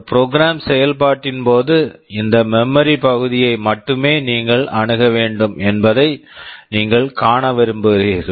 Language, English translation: Tamil, You want to see that when a program is executing, you are supposed to access only this region of memory